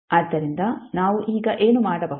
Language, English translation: Kannada, So what we can do now